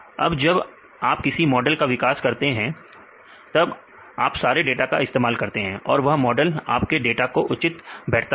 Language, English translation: Hindi, Now, the next question is when you develop a model if you use all the data then the models will fit with respect to all your data